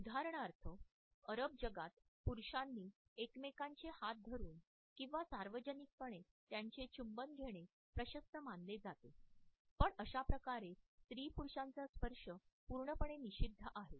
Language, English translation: Marathi, For example, in the Arab world it is comfortable for men to hold the hands of each other or to kiss them in public a cross gender touch is absolutely prohibited